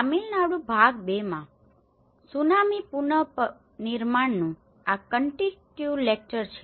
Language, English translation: Gujarati, This is a continuation lecture of tsunami reconstruction in Tamil Nadu part two